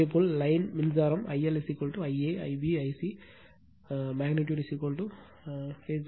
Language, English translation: Tamil, Similarly, line to line current I L is equal to I a, I b, I c magnitude is equal to phase current